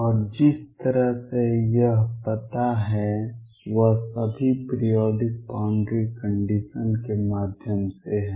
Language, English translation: Hindi, And the way it is address is through something all the periodic boundary condition